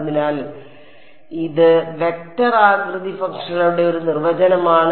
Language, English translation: Malayalam, So, this is a definition of vector shape functions